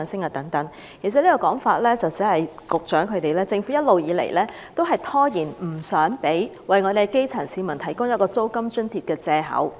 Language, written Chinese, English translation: Cantonese, 其實此說法只是政府一直以來用以拖延為基層市民提供租金津貼的藉口。, Actually this is only the excuse that the Government has been using in delaying the provision of rent subsidy to the grass roots